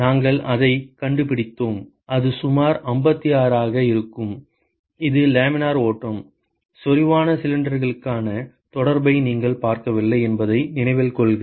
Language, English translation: Tamil, We find that and so that will be about 56, it is the laminar flow; remember that we did not look at the correlation for concentric cylinders